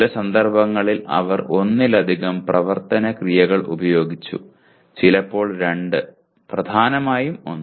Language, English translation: Malayalam, In some cases they used multiple action verbs, sometimes two and dominantly one